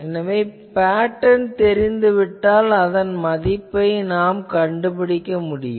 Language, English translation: Tamil, So, if the pattern is specified, we can find it approximately so, what will be now C n value